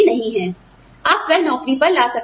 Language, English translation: Hindi, You may bring it to the job